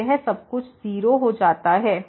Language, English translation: Hindi, So, this everything goes to 0